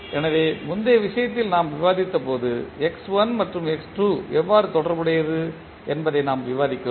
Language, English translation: Tamil, So just previous case when we discussed, we discuss that how x1 and x2 related